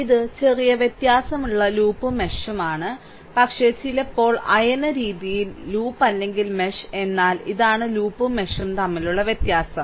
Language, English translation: Malayalam, So, this is slight difference between loop and mesh, but loosely sometimes, we talk either loop or mesh, right, but this is the difference between the loop and mesh ok